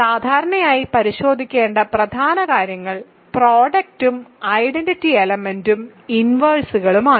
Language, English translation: Malayalam, Typically, the key things to check would be product and identity element and inverses